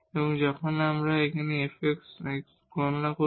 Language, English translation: Bengali, So, we need to compute the fx